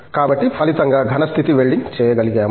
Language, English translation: Telugu, So, as a result solid state welding has taken up